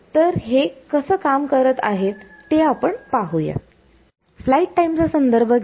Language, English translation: Marathi, So, let us see how that works out